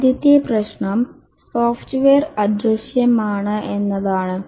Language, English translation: Malayalam, The first problem is that software is intangible